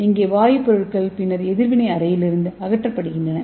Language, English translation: Tamil, Here the gaseous products are then removed from the reaction chamber, okay